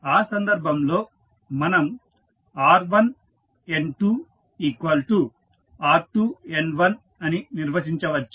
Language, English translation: Telugu, So, using this you can correlate that r1N2 is equal to r2N1